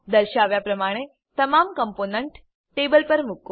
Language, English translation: Gujarati, Place all the components on the table, as shown